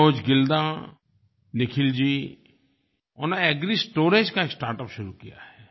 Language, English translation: Hindi, Manoj Gilda, Nikhilji have started agristorage startup